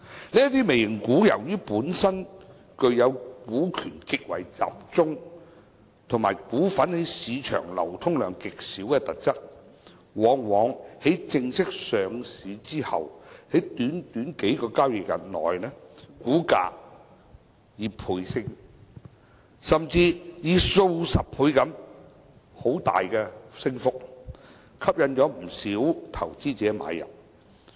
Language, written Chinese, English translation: Cantonese, 由於這些"微型股"本身具有股權極為集中，以及股份在市場流通量極少的特質，往往在正式上市後的短短數個交易日內，股價倍升，甚至是數十倍地大幅上升，吸引不少投資者買入。, Since these micro caps are characterized with high shareholding concentration and very low liquidity in the market after they are formally listed on the market within just a few trading days their share prices will often multiply and even drastically rise for a few dozen times thus attracting not a few investors to purchase